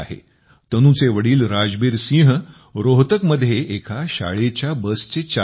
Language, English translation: Marathi, Tanu's father Rajbir Singh is a school bus driver in Rohtak